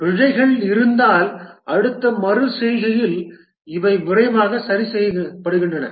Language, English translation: Tamil, If there are bugs, these are fixed quickly in the next iteration